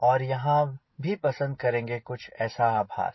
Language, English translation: Hindi, they will prefer here something like this